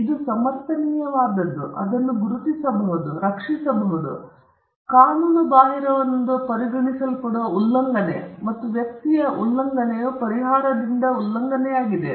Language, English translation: Kannada, It is something that can be justified, that can be a recognized, and that can be protected, the violation of which is deemed as unlawful, and the violation of which leaves the person whose right is violated with a remedy